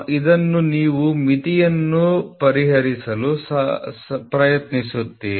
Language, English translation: Kannada, So, this you will try to solve limit